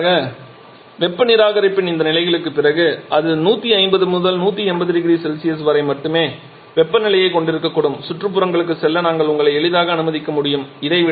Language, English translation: Tamil, Finally after all these levels of heat rejection it may be having a temperature of something only around 150, 180 degree Celsius and so we can easily allow you to go to the surrounding